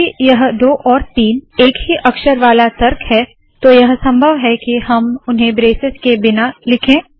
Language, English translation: Hindi, Because these 2 and 3 are single character arguments its possible to write them without braces